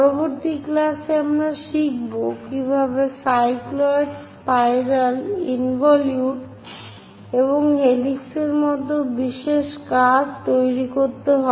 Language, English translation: Bengali, In the next class, we will learn about how to construct the special curves like cycloids, spirals, involutes and helix